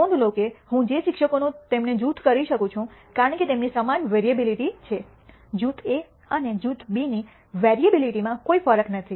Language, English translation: Gujarati, Notice that all the teachers I can group them because they have the same variability, there is no di erence in the variability of group A and group B